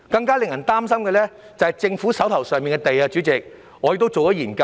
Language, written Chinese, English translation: Cantonese, 更令人擔心的是，政府可供推售的用地面積越來越小。, What is more worrying is that the area of government sites for sale is getting smaller